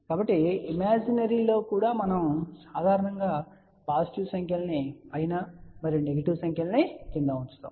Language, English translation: Telugu, So, even imaginary we generally put positive numbers above and negative numbers down below